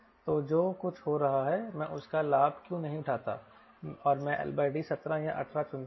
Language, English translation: Hindi, i take the advantage of what is happening and i pick l by d, seventeen or eighteen